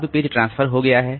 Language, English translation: Hindi, Now, the page has been transferred